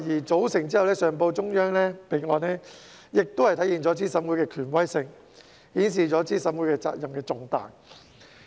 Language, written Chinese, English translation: Cantonese, 組成後上報中央備案，亦體現了資審會的權威性，顯示資審會責任之重大。, The requirement for its composition to be reported to the Central Authorities can also reflect the authority of CERC and manifest the importance of the responsibilities of CERC